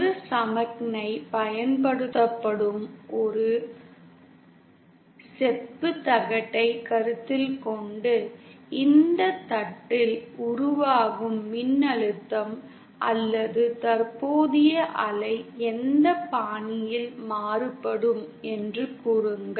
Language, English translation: Tamil, Consider a single copperplate where a signal is applied and say the voltage or current wave that is formed on this plate varies in this fashion